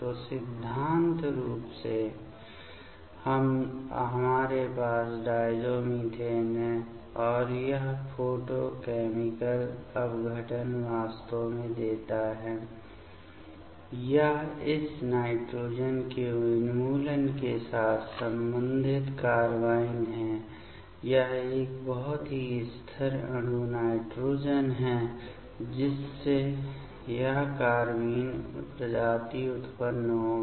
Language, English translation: Hindi, So, in principle we have diazomethane and this photochemical decomposition actually give it is the corresponding carbene with the elimination of this nitrogen; it is a very stable molecule nitrogen so, that will generate this carbene species